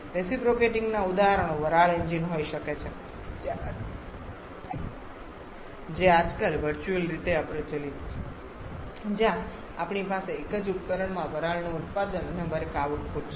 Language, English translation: Gujarati, Reciprocating examples can be steam engines which is virtually obsolete nowadays where we have the steam production and work output from done in the same device